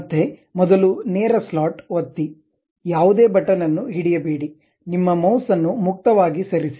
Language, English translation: Kannada, Again, first straight slot, click, do not hold any button, just freely move your mouse